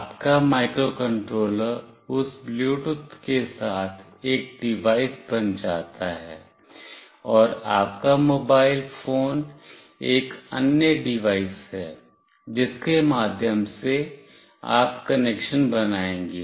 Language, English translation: Hindi, Your microcontroller along with that Bluetooth becomes one device, and your mobile phone is another device through which you will be making the connection